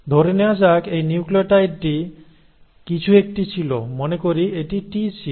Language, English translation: Bengali, So if you have let us say a next, let us say this nucleotide was anything; let us say it was a T